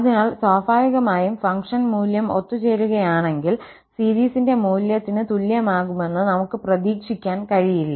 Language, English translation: Malayalam, So, naturally, we do not expect that the function value will be equal to the value of the series if it converges